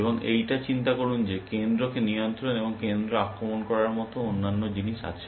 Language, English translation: Bengali, And there are other things like controlling the center, and attacking the center, and think like that